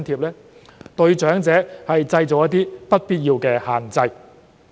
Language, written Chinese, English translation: Cantonese, 這對長者造成不必要的限制。, This imposes unnecessary restrictions on the elderly